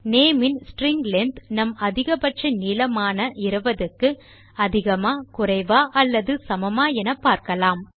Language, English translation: Tamil, We check if string length function of name is greater no, lesser or equal to our max length which is 20